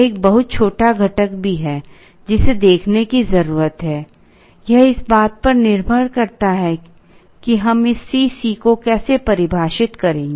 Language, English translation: Hindi, There is also a very small component, which needs to be looked at; it depends on how we are going to define this C c